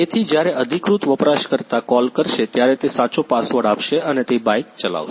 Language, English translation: Gujarati, So, when the authorized user will call he will give the right password and he will ride the bike